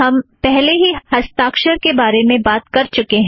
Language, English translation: Hindi, We have already talked about the signature